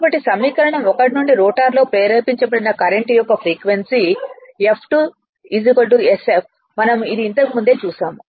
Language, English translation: Telugu, So, from equation 1; the frequency of the current induced the rotor is same as F2 is equal to sf this we have seen right